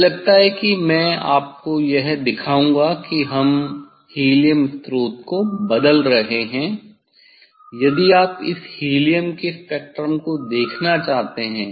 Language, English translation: Hindi, I think I will show you this we are changing helium if you want to see the spectrum of this helium spectrum of this helium